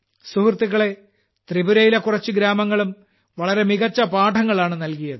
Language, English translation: Malayalam, Friends, some villages of Tripura have also set very good examples